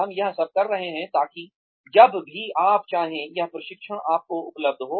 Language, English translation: Hindi, We are doing all this, so that, this training is available to you, free of cost, whenever you wanted